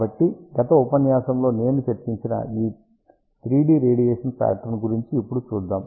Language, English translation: Telugu, So, let us just look at now the radiation pattern I had discussed about this 3 D pattern in the previous lecture